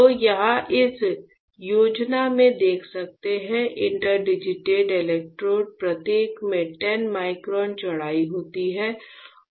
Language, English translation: Hindi, So, if I please and you can see here in this schematic; the interdigited electrodes each are having 10 micron width this is a width